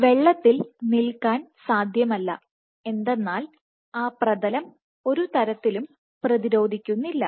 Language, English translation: Malayalam, Just like it is not possible to stand in water why because the substrate does not resist